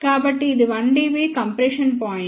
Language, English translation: Telugu, So, this is 1 dB compression point